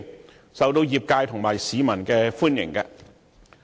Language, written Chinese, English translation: Cantonese, 建議受到業界及市民歡迎。, The proposal is welcomed by the sector and the people